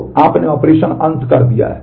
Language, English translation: Hindi, So, you have done operation end